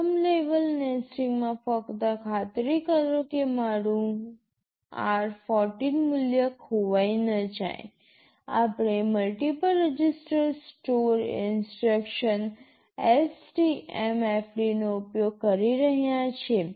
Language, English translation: Gujarati, In the first level of nesting, just to ensure that my r14 value does not get lost, we are using a multiple register store instruction STMFD